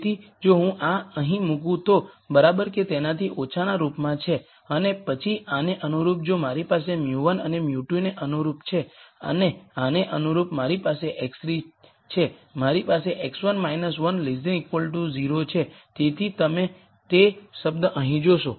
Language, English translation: Gujarati, So, if I put this here this is into the less than equal to form and then corresponding to this if I have mu 1 corresponding to this mu 2 and corresponding to this I have mu 3 I have x 1 minus 1 is less than equal to 0 so you see that term here